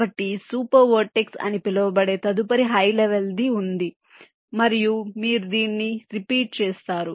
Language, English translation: Telugu, so the next higher level, that single so called super vertex, will be there, and you go on repeating this